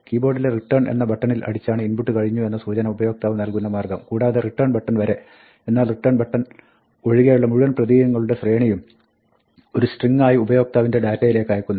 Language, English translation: Malayalam, The way that the user signals that the input is over, is by hitting the return button on the keyboard and the entire sequence of characters up to the return, but not including the return, is transmitted as a string to user data